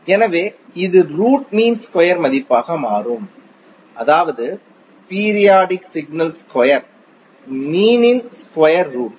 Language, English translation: Tamil, So this will become the root mean square value that means the square root of the mean of the square of the periodic signal